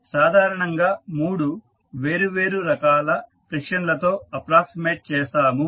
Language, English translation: Telugu, We generally approximate with 3 different types of friction